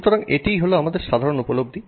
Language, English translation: Bengali, So, that is our common perception, right